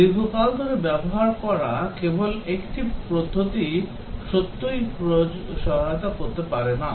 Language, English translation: Bengali, Just one methodologies used for longtime may not really help